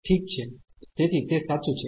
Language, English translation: Gujarati, Well, so that is true